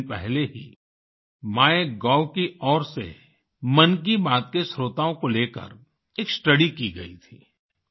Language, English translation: Hindi, Just a few days ago, on part of MyGov, a study was conducted regarding the listeners of Mann ki Baat